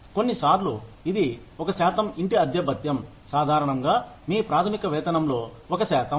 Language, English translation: Telugu, House rent allowance, typically is a percentage of your basic pay